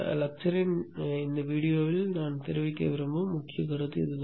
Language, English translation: Tamil, This is the key concept that I want to convey in this particular video lecture